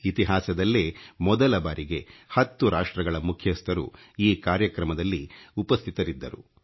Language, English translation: Kannada, This is the very first time in history that heads of 10 Nations attended the ceremony